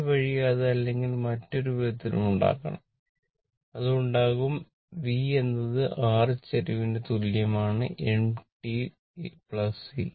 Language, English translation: Malayalam, This way you have to make it or other way, you have to make it V is equal to your slope m into t plus C right